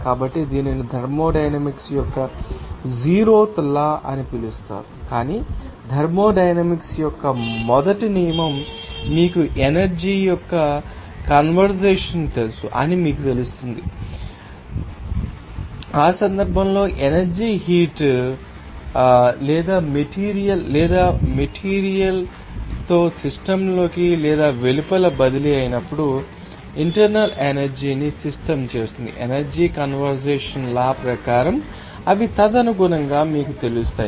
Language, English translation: Telugu, So, this is called zeroth law of thermodynamics, but first law of thermodynamics gives you know that concept of you know conservation of energy in that case when energy transfers as work as heat or with matter into or out of the system, then systems internal energy as per the law of conservation of energy will be you know they are accordingly